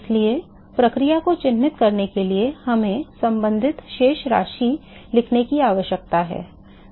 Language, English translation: Hindi, So, in order to characterize the process is we need to write the corresponding balances